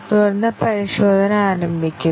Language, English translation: Malayalam, And then, the testing starts